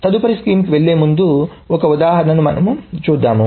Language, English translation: Telugu, Before moving on to the next scheme, let us see an example